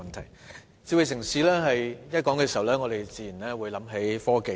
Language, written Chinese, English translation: Cantonese, 談到"智慧城市"，我們自然會想到科技。, On the subject of smart city we will naturally think about technology